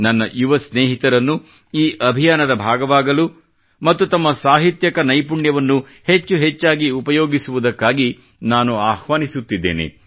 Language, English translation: Kannada, I invite my young friends to be a part of this initiative and to use their literary skills more and more